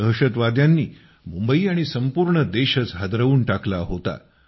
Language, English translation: Marathi, Terrorists had made Mumbai shudder… along with the entire country